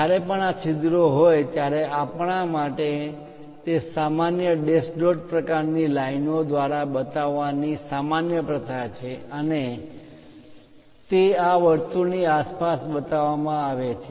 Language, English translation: Gujarati, Whenever this holes are there it is common practice for us to show it by dash dot kind of lines, and they are placed around this circle